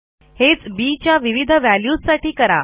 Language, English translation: Marathi, Repeat this process for different b values